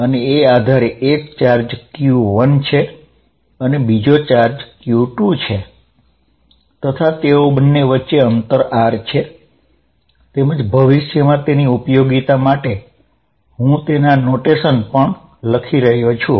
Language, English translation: Gujarati, So, there is a charge q 1 and another charge q 2 separated by a distance r and for the future, because I am going to develop a notation also